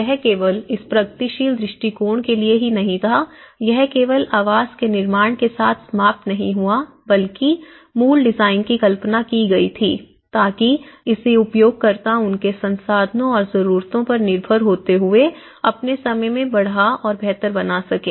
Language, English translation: Hindi, So, it did not just only this progressive approach it did not ended only with construction of the dwelling but the original design was conceived so that it can be extended and improved by the users in their own time depending on their resources and needs